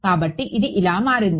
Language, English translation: Telugu, So, this became this